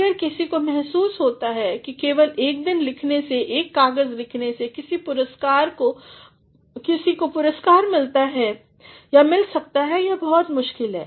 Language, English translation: Hindi, If, somebody has a feeling that simply by writing in one day, or by writing one paper one can get laureates it is very difficult